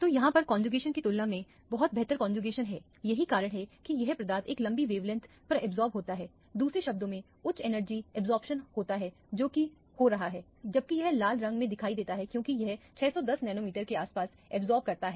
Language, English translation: Hindi, So, this is a much better conjugation compared to the cross conjugation that is why this substance absorbs at a longer lower wavelength, in other words higher energy absorption is what is taking place, whereas this is red in color which appears because it is absorbing around 610 nanometers or so